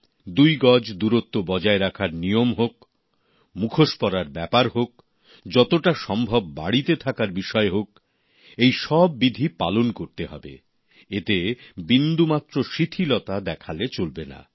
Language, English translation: Bengali, Whether it's the mandatory two yards distancing, wearing face masks or staying at home to the best extent possible, there should be no laxity on our part in complete adherence